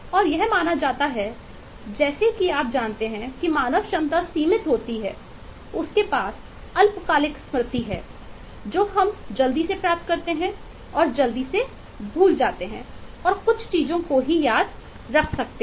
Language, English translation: Hindi, it is believed that eh, this, eh, you know, limitation of the human capacity is has to do with limitation of short term memory, which is eh, which we quickly acquire and quickly forget, and only small number of items can be kept in there